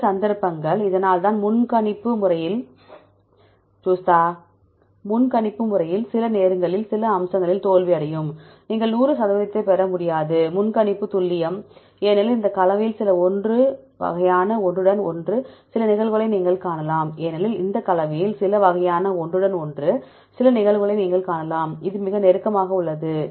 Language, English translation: Tamil, Some cases this is why all the prediction methods sometimes fail in some aspects, you cannot get 100 percent prediction accuracy because you can see some type of overlapping likewise see in this composition, you can see some cases it is very close see is very close